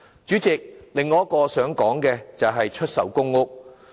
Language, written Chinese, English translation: Cantonese, 主席，我想說的另一點是出售公屋。, President another point I would like to talk about is the sale of PRH units